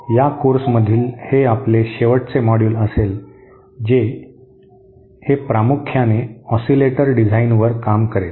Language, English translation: Marathi, this will be our last module in this course it will primarily deal with Oscillator design